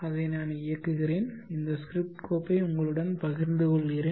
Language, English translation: Tamil, Yeah I can run that and share this script file with you